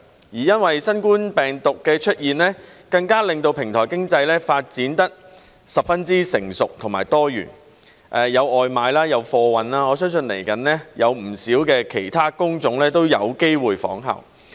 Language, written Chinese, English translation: Cantonese, 因為新冠病毒的出現，更令到平台經濟發展得十分成熟和多元，有外賣、有貨運，我相信未來有不少其他工種都有機會仿效。, Due to the emergence of the novel coronavirus the development of the platform economy has turned very sophisticated and diversified with the proliferation of takeaway and goods delivery services . I believe many other job types may likewise follow their example in the future